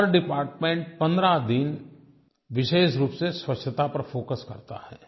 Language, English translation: Hindi, Each department is to focus exclusively on cleanliness for a period of 15 days